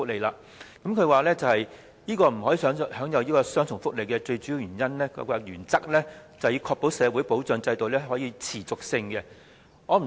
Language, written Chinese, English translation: Cantonese, 局長認為不可享有雙重福利的最主要原因是，必須確保社會保障制度的持續性。, The main reason for the Secretary to hold that a person should not enjoy double benefits is to ensure the sustainability of the social security system